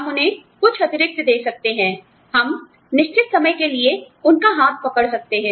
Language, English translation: Hindi, We may give them, some additional, you know, we may hold their hand, for a certain amount of time